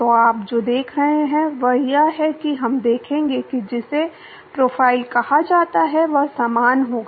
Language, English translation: Hindi, So, what you see is we will see what is called the profiles will be similar